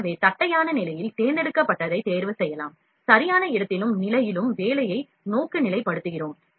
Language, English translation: Tamil, So, we can opt to select in flat position and we orient the job in proper place and position